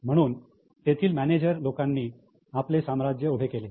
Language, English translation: Marathi, So, managers had built up their own empires